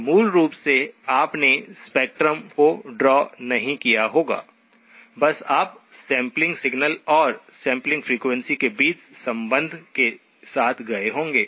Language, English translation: Hindi, So basically you need not have drawn the spectrum, you could have just gone with the relationship between the sampled signal and the sampling frequency